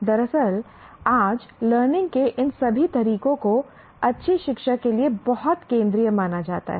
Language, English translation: Hindi, Actually today all these methods of learning are considered very central to good learning